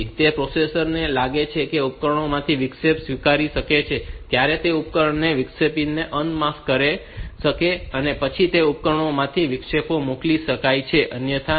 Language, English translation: Gujarati, So, when the processor feels that it can accept interrupt from those devices, it will unmask those devices those interrupts and then are then only the interrupts can be sent from those devices otherwise not